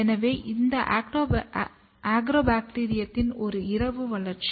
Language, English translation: Tamil, So, this is the overnight grown culture of Agrobacterium